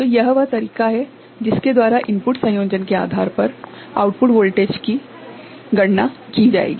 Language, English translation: Hindi, So, this is the way the output voltage depending on the input combination will be calculated